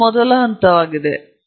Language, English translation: Kannada, That is the first point